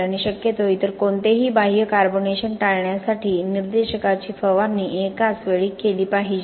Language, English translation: Marathi, And the spraying of the indicator should be done at once to avoid any other external carbonation which could possibly occur